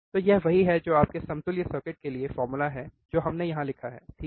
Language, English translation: Hindi, So, this is what is the formula for your equivalent circuit which we have written here, alright